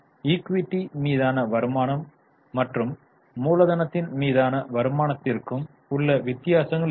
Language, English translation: Tamil, Now what is the difference with return on equity and return on capital